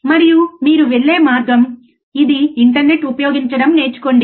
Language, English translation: Telugu, And this is the way you go and learn useing internet, right